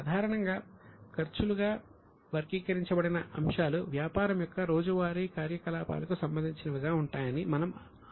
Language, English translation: Telugu, Normally we assume that the items which are categorized as expenses are in the normal course of business